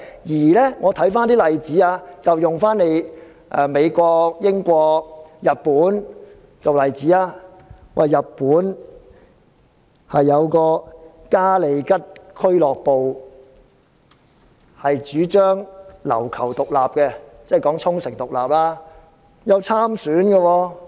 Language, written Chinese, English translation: Cantonese, 讓我們看看美國、英國及日本的例子，日本嘉利吉俱樂部主張琉球獨立，該俱樂部有派人參選。, Let us look at the examples in the United States the United Kingdom and Japan . In Japan the Kariyushi Club advocates the independence of Ryukyu and some members of the Club stood for election